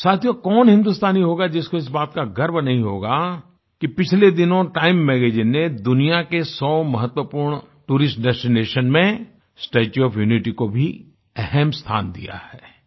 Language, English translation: Hindi, Friends, which Indian will not be imbued with pride for the fact that recently, Time magazine has included the 'Statue of Unity'in its list of 100 important tourist destinations around the world